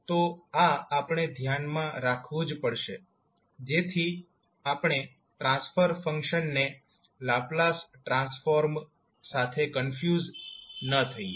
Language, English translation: Gujarati, So, this we have to keep in mind, so that we are not confused with the transfer function and the Laplace transform